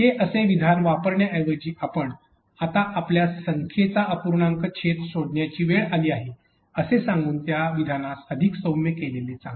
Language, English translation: Marathi, Instead of using this statement this direct statement you would have softened it by saying probably, it is a time for you now to find the denominator of a number